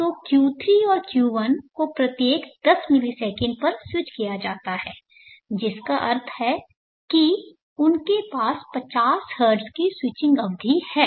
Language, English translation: Hindi, So Q3 and Q1 are switched every 10 milliseconds, switched on every 10milliseconds, which means they have a switching period of 50 Hertz